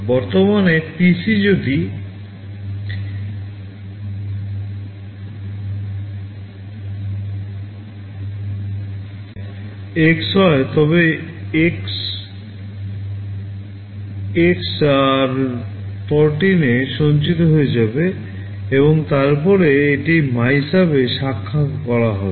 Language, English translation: Bengali, The current PC if it is X, X will get stored in r14 and then it will be branching to MYSUB